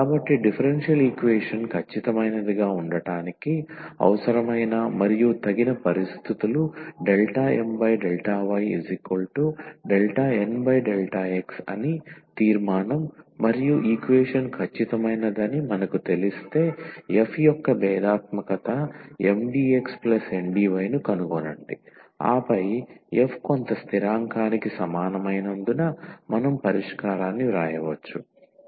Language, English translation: Telugu, So, the conclusion is that the necessary and the sufficient conditions for the differential equation to be exact is del M over del y is equal to del N over del x and once we know that the equation it is exact then we can find a f whose differential is this Mdx plus Ndy and then we can write down the solution as f is equal to some constant